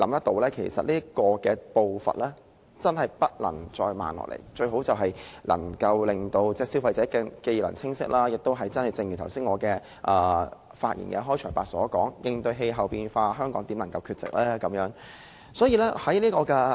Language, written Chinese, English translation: Cantonese, 這個步伐真的不能再慢下來，最好能令消費者既能清晰計劃，亦正如我在開場發言時所說，應對氣候變化，香港怎能缺席？, It would be best to let consumers clearly understand MEELS and as I said in my introduction how can Hong Kong withdraw from tackling climate change?